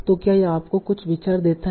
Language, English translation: Hindi, So this gives you some idea